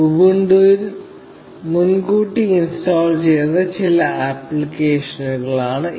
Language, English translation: Malayalam, They are some applications that are preinstalled in Ubuntu